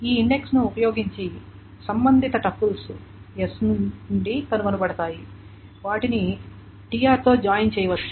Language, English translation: Telugu, The corresponding, using this index, the corresponding tuples are found out from S that can join with TR